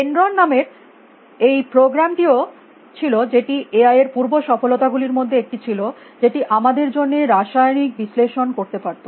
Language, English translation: Bengali, Also there was this program call Dendron which was one of the early successive of A I we could do chemical analysis for us